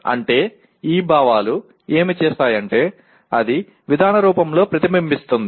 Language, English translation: Telugu, That means what these feelings do is if the, it reflects in the form of approach